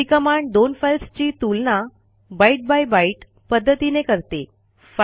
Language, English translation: Marathi, It compares two files byte by byte